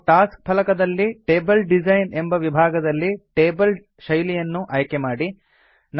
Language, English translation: Kannada, Then from the Table Design section on the Tasks pane, select a table style